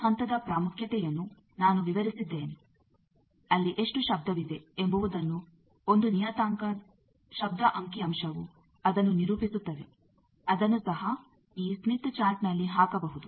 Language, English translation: Kannada, I explained the importance of this point how much noise is there one parameter noise figure characterizes that that also can be put on this smith chart